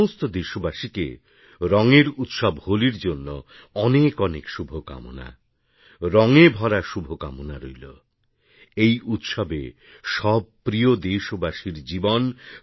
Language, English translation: Bengali, I wish a very joyous festival of Holi to all my countrymen, I further wish you colour laden felicitations